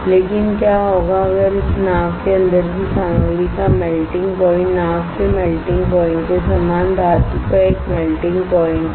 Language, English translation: Hindi, But what if the material inside this boat has a melting point has a melting point of metal similar to the melting point of boat